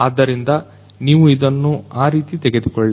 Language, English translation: Kannada, So, take it in that particular way